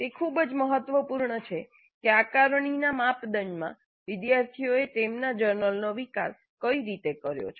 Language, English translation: Gujarati, So, it is very, very important that the assessment criteria should not bias the way students develop their journals